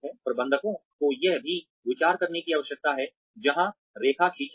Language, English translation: Hindi, Managers also need to consider, where to draw the line